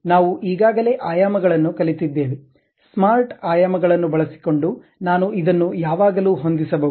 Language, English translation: Kannada, Dimensions we have already learned, using smart dimensions I can always adjust this